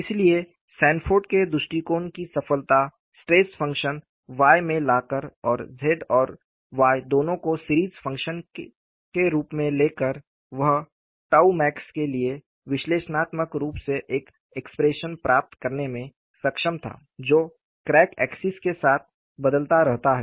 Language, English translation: Hindi, So, the success of Sanford's approach is by bringing the stress function Y, and also taking both the Z and Y as series functions, he was able to get analytically, an expression for tau max, which varies along the crack axis